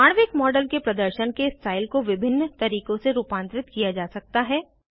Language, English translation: Hindi, The style of display of molecular model can be modified in various ways